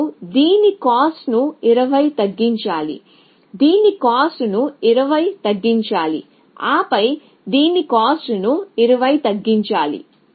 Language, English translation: Telugu, So, you must reduce the cost of this by 20 reduce the cost of this by 20 and then reduce the cost of this by 20 and so on and so for